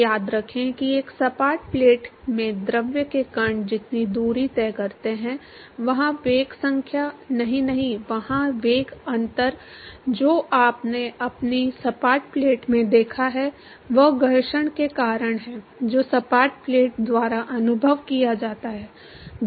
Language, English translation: Hindi, So, remember that the fluid particles in a flat plate the distance travelled is the same there the velocity no, no, no, there the velocity difference that you seen in your flat plate is because of the friction that is experience by the flat plate